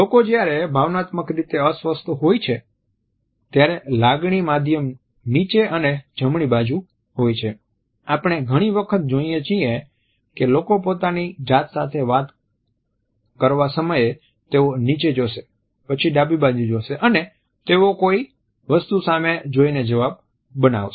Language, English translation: Gujarati, People when they are being emotional upset the feeling channel is down here and to the right whereas, we quite often see people when they are talking to themselves, they will look down and to the left as they formulate an answer to something